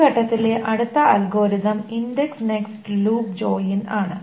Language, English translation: Malayalam, The next algorithm in this space is the indexed nested loop join